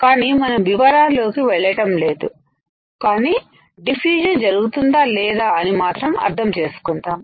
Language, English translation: Telugu, But we not going in detail just an understanding that if diffusion occurs or not